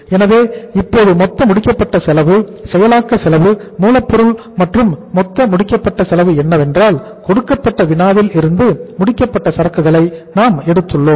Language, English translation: Tamil, So now we have taken the total finished cost processing cost that is raw material and what is the total finished cost is that was taken as if you look at the problem here we have taken the finished goods